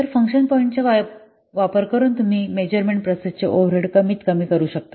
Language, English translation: Marathi, So by using function point, you can minimize the overhead of the measurement process